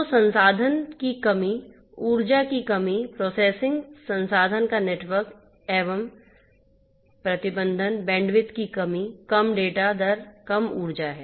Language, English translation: Hindi, So, resource constrained, energy constraint, processing constraint the network resource itself is constrained, bandwidth constraint, low data rate, low energy